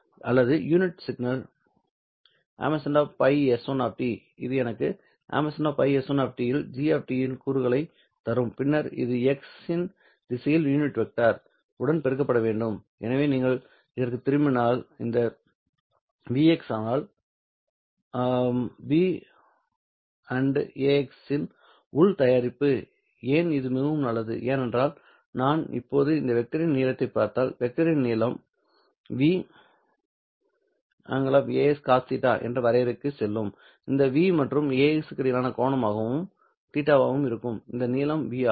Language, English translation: Tamil, This would give me the component of g of t on phi s 1 of t and then this has to be multiplied along the unit vector in the direction of x right so if you go back to this one this v x is nothing but the inner product of v with a x hat why is that so well this is because if i now look at the length of this vector, go back to the definition, the length of the vector V, a x magnitude or the length of this one and cos of theta, where theta would be the angle between this v and a x hat, right